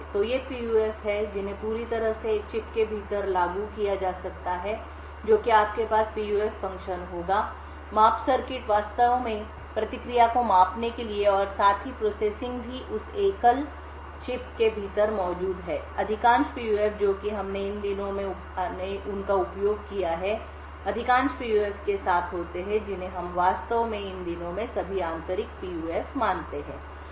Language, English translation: Hindi, So, these are PUFs which can be completely implemented within a chip that is you would have a PUF function, the measurement circuit to actually measure the response and also, post processing is also, present within that single chip, most PUFs that we used these days are with most PUFs which we actually consider these days are all Intrinsic PUFs